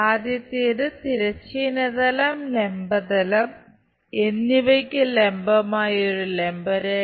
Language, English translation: Malayalam, The first one; a vertical line perpendicular to both horizontal plane and vertical plane